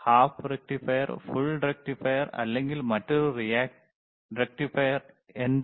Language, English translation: Malayalam, hHalf a rectifier, full a rectifier, is there or another rectifiers